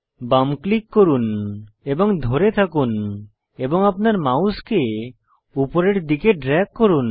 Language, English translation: Bengali, Left click and drag your mouse